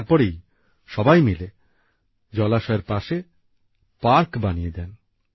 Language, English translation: Bengali, Everyone got together and made a park at the place of the pond